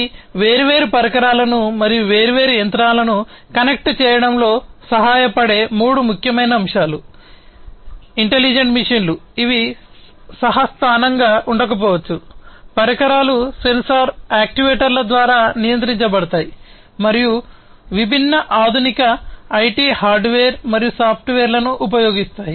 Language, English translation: Telugu, So, these are the three key elements intelligent machines that help connect different devices and different machines, which may not be co located the devices are controlled through sensors actuators and using different other advanced IT hardware and software